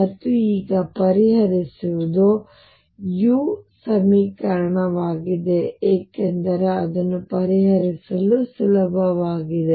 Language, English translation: Kannada, And what will be solving now is the u equation because that is easier to solve